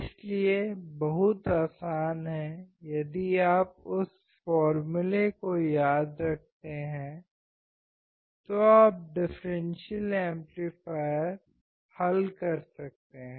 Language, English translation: Hindi, So, very easy if you remember the formula you can solve the differential amplifier